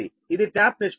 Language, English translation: Telugu, this is the tap ratio